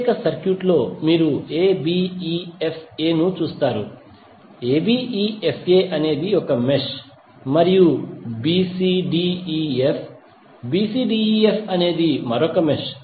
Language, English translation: Telugu, In the particular circuit, you will see abefa, abefa is 1 mesh and bcdef, bcdef is another mesh